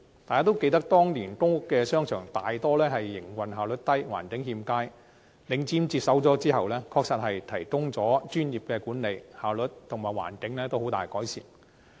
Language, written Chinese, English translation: Cantonese, 大家都記得當年公屋商場大多數營運效率低、環境欠佳，領展接管後，確實提供了專業管理，效率及環境均大為改善。, As we all remember at that time most of such shopping arcades had low operational efficiency with a poor environment . Since the takeover by Link REIT it has indeed provided professional management . Both efficiency and the environment have seen enormous improvement